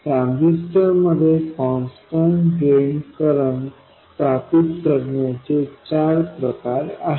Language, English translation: Marathi, There are four variants of establishing a constant drain current in a transistor